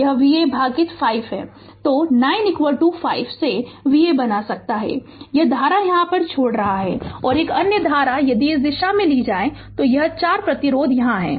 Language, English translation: Hindi, So, 9 is equal to you can make V a by 5 this current is leaving, and another current if you take in this direction, this 4 ohm resistance is here